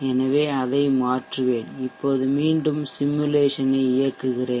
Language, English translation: Tamil, So let me change that, and let me now run the simulation again